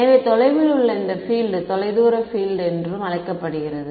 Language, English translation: Tamil, So, this field far away is also called far field right